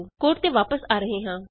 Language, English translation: Punjabi, Coming back to the code